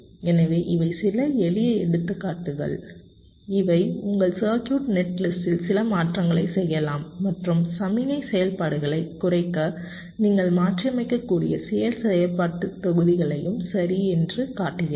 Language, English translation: Tamil, so these are some simple examples which show that you can make some changes in your circuit, netlist and also some functional blocks you can modify so as to reduce the signal activities, right